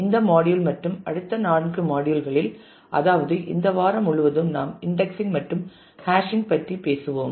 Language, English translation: Tamil, In this module and the next 4; that is for the whole of this week we will talk about indexing and hashing